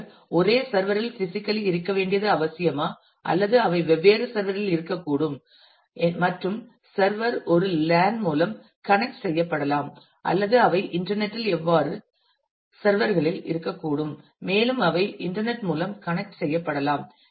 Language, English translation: Tamil, Is it necessary that they will have to be on the same server physically or will they be on can be on different server and servers could be connected through a LAN or they themselves could be on different servers over the internet and may they may be connected through internet